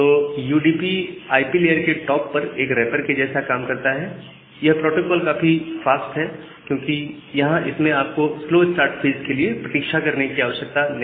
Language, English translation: Hindi, So, UDP works like a wrapper on top of the IP layer, the protocol is very fast, because you do not need to wait for the slow start phase